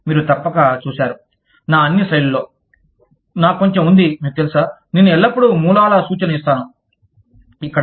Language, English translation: Telugu, You must have seen, that in all of my slides, i have a little, you know, i always give the reference of the sources, here